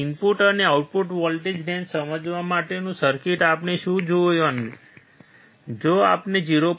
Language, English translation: Gujarati, The circuit for understanding input and output voltage ranges what we have to see is, if we apply input voltage of 0